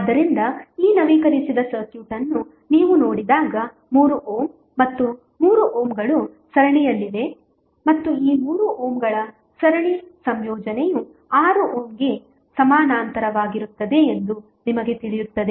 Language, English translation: Kannada, So, when you see this updated circuit you will come to know that 3 ohm 3 ohm are in series and the series combination of these 3 ohms is in parallel with 6 ohm